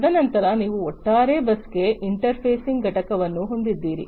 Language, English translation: Kannada, And then you have the interfacing unit to the overall bus